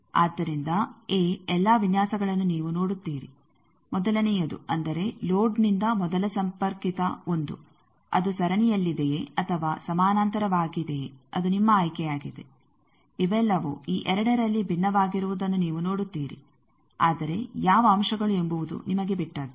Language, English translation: Kannada, So, you see all these designs whether the first one; that means, from load the first connected 1 that is in series or parallel that is your choice you see all these are different in these two, but which elements that is up to you